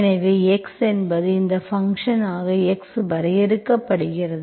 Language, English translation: Tamil, So x is, this function is, x is defined